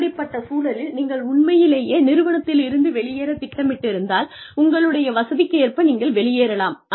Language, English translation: Tamil, At that point, if you are really planning to quit the organization, it will help, to try to leave, at your convenience